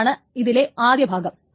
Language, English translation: Malayalam, So that is the first part of it